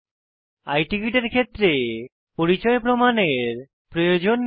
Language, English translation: Bengali, In case of I Ticket as mentioned earlier, no identity proof is required